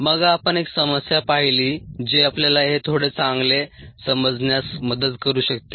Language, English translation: Marathi, and then we looked at ah problem ah, which could ah help us understand the this a little better